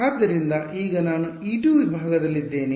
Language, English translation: Kannada, So, now, I am in segment e 2